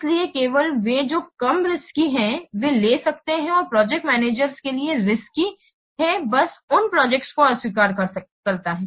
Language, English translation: Hindi, So, only those which are less risky they may take, which are more risky the project manager just simply what rejects those projects